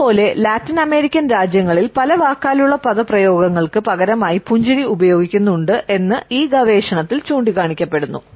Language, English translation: Malayalam, Similarly, it has been pointed out in this research that in Latin American countries a smiles take place of many verbal expressions